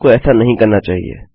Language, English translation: Hindi, You shouldnt do so